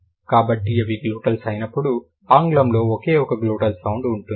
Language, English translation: Telugu, So, when it is glottles, there is only one glottal sound in English